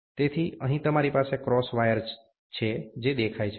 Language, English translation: Gujarati, So, here you will have a cross wire, which is seen